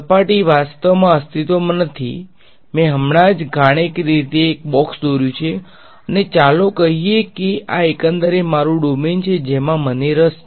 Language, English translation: Gujarati, The surface does not actually exist I have just mathematically drawn a box and let us say this is overall this is my the domain that I am interested in ok